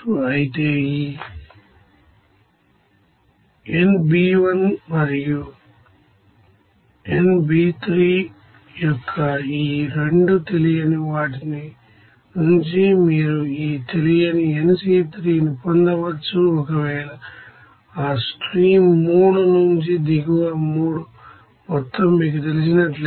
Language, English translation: Telugu, But you can obtain these unknown nC3 from these 2 unknowns of this nB1 and nB3 if you know the total amount of bottom B from that stream 3